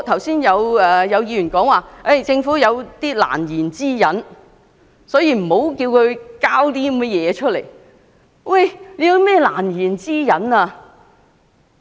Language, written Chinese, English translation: Cantonese, 剛才有議員指政府有難言之隱，所以無須作出交代。, Some Members have just said that the Government has unspeakable reasons so it did not need to give an explanation